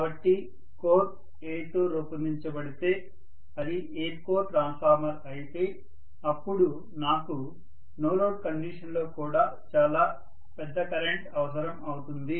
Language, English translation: Telugu, So the core is made up of an, it is an air core transformer then I am going to require a very very large current even under no load condition, got it